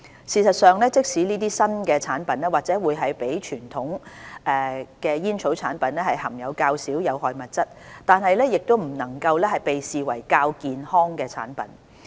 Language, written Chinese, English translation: Cantonese, 事實上，即使這些新產品或會比傳統煙草產品含有較少有害物質，也不能被視為較健康的產品。, Indeed even though these new products may contain less harmful substances than conventional tobacco products they should not be regarded as less harmful